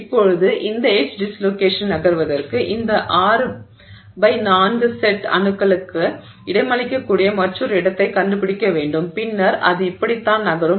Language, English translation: Tamil, So, now this edge dislocation for it to move, it needs to find another location which can accommodate these, you know, 6 by 4 set of atoms and then that's how it moves